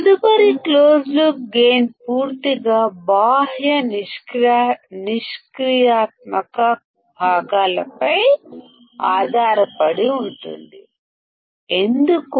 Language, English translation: Telugu, Next closed loop gain depends entirely on external passive components; why